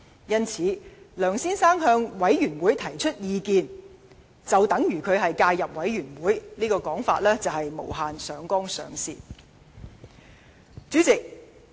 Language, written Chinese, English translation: Cantonese, 因此，若說梁先生向專責委員會提出意見就等於介入委員會，實在是無限上綱上線。, Therefore I think it is much ado about nothing if they say that Mr LEUNG has interfered with the affairs of the select committee by expressing his views thereto